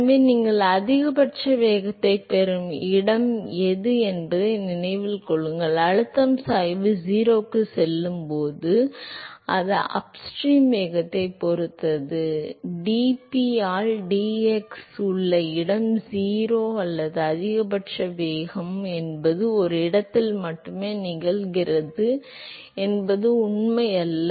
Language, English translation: Tamil, So, remember that the location where you get a maximum velocity; where the pressure gradient goes to 0, that depends upon the upstream velocity; it does not; it is not true that the location where you have d p by d x is 0 or a maximum velocity it occurs only at one location